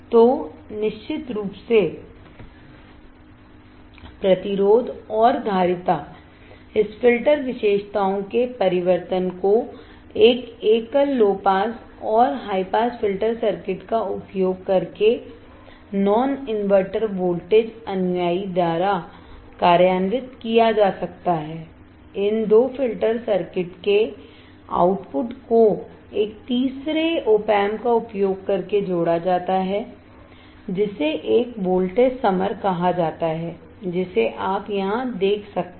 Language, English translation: Hindi, So, resistance and capacitance of course, transformation of this filter characteristics can be implemented a single using a single low pass and high pass filter circuit by non inverting voltage follower, the output from these two filter circuit is summed using a third operational amplifier called a voltage summer, which you can see here right